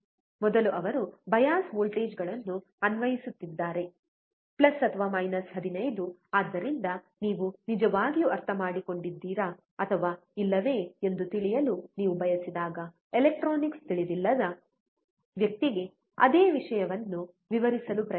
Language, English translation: Kannada, First he is applying the bias voltages + 15 So, when you really want to know whether you have understood or not, try to explain the same thing to a person who does not know electronics